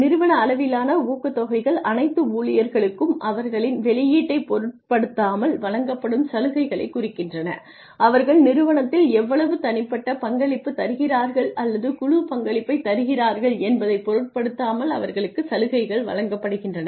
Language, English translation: Tamil, Organization wide incentives refer to the incentives that are given to all the employees irrespective of their output, irrespective of the work they put in, irrespective of how much individual contribution or team contribution they are making to the organization